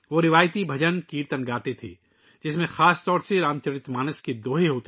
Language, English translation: Urdu, They used to sing traditional bhajankirtans, mainly couplets from the Ramcharitmanas